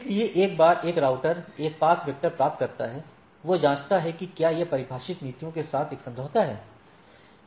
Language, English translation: Hindi, So, once a router receives a path vector, it checks that whether it is a agreement with the with the defined policies right